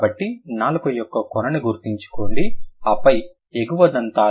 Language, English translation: Telugu, So, remember the tip of the tongue and then the upper front teeth